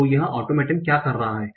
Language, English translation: Hindi, So what is this automaton doing